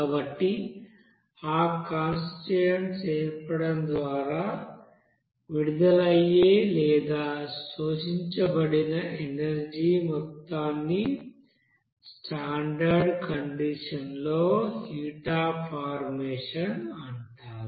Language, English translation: Telugu, So those amount of energy which is released or adsorbed by formation of that constituent is called heat of formation at the standard condition